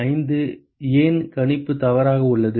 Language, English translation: Tamil, 5 Why is the prediction wrong